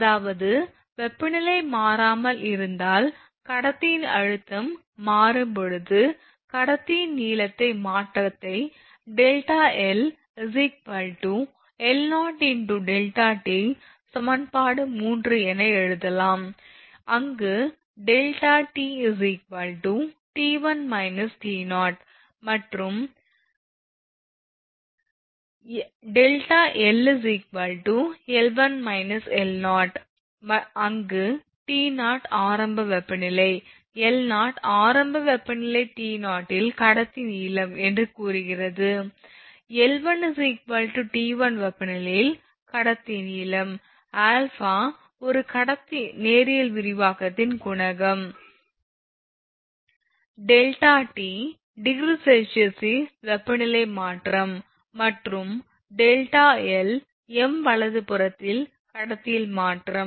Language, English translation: Tamil, So, in if conductor stress is constant while the temperature changes, the change in the length of the conductor can be given as delta l is equal to l 0 into alpha into delta t this is equation 3, where delta t is equal to t 1 minus t 0 and delta l is equal to l 1 minus l 0, where t 0 is initial temperature l 0 is conductor length at initial temperature say T 0, that is this is t 0 l 1 is conductor length at temperature t 1, and alpha coefficient of linear expansion of conductor per degree centigrade, and delta t that is this one delta t and delta l this delta t is change in temperature in degree centigrade and delta l change in conductor length in meter right